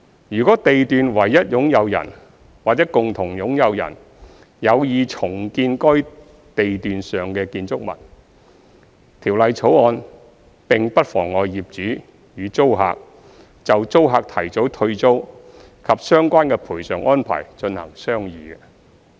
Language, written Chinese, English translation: Cantonese, 如地段唯一擁有人或共同擁有人有意重建該地段上的建築物，《條例草案》並不妨礙業主與租客就租客提早退租及相關的賠償安排進行商議。, If the sole owner or joint owners of a lot would like to redevelop a building on that lot the Bill does not obstruct the landlord and tenants from entering into negotiations on early surrendering of the tenancy and the related compensation arrangements